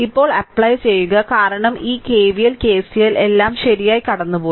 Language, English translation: Malayalam, Now you please apply because all this KVL, KCL you have gone through right